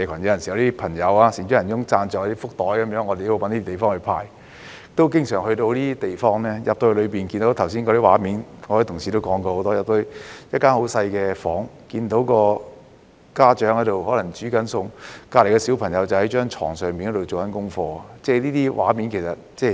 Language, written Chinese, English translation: Cantonese, 有時候，有些善長仁翁朋友贊助"福袋"，我們都要找地方派發，故此經常到訪這些地方，進去後便看見剛才同事多番描述的畫面，即一間十分細小的房間，家長可能在做菜，旁邊的小朋友可能在床上做功課，這些畫面其實很常見。, Sometimes we distributed blessing bags sponsored by some donors and that was why I often visited such places . On entering SDUs I saw what Honourable colleagues have just described again and again . That is to say in a tiny room the parent might be cooking while the kid might be doing homework on a bed nearby